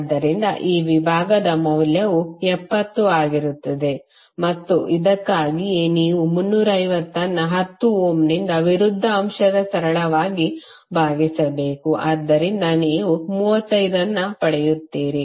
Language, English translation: Kannada, So this segment value would be 70 and for this again you have to simply divide 350 by opposite element that is 10 ohm, so you will get 35